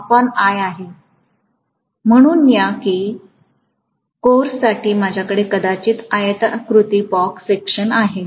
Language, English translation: Marathi, Let us say I probably have a rectangular cross section for this core